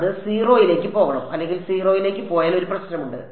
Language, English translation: Malayalam, It should go to 0 or well if it goes to 0 there is a problem